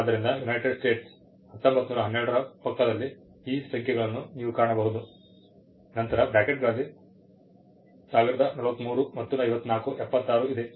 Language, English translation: Kannada, So, you will find these numbers next to United States 1912, then there is 1043 all in brackets 54, 76